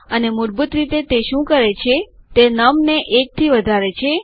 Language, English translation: Gujarati, And what it basically does is, it increases num by 1